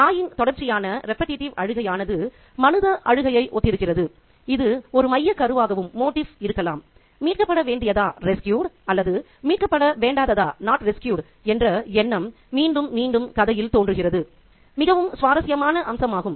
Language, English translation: Tamil, The cry of the dog, the repetitive cry of the dog which resembles a human cry can also be a motif and the idea of being rescued or not rescued which is also repeated in the story is also a very interesting motif